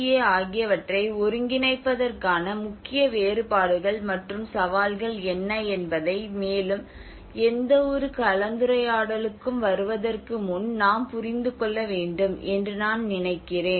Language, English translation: Tamil, And before getting into any further discussion, I think we need to understand what are the major differences and challenges for integrating DRR and CCA